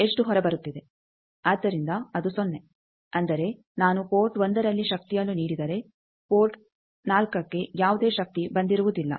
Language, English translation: Kannada, So, that is 0 that means, if I give power at port 1 is that port 4 no power will come